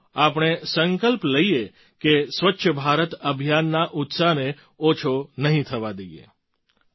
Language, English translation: Gujarati, Come, let us take a pledge that we will not let the enthusiasm of Swachh Bharat Abhiyan diminish